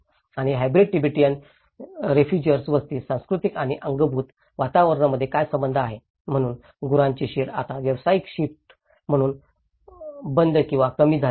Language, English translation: Marathi, And what is the relationship between the cultural and built environments in a hybrid Tibetan refugee settlement, so cattle sheds now discontinued or reduced as an occupational shift